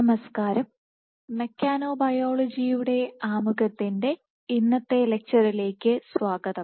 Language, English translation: Malayalam, Hello and welcome to our lecture of introduction to mechanobiology